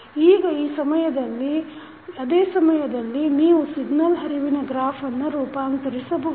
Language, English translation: Kannada, Now, at the same time you can transform this signal flow graph into block diagram